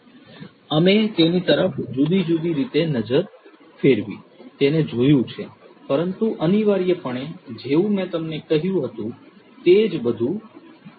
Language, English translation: Gujarati, We have looked at it, relooked at it in different different ways, but essentially as I told you earlier everything remains the same